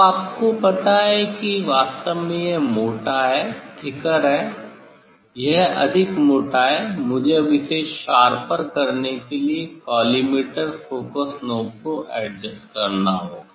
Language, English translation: Hindi, now it is really thicker you know; it is the thicker I have to now adjust the collimator focus knob to make it sharper